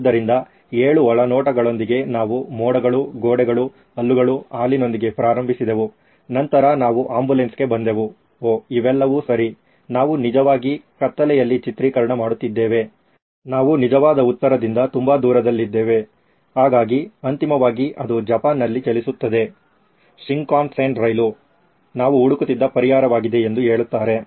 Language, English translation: Kannada, So with 7 insights we started with clouds, walls, teeth, milk then we came down to ambulance oh those were all wrong ones right, we were actually shooting in the dark, we were so far away from the actual answer right, so finally it says, it runs in Japan, its Shinkansen train is the solution we were looking for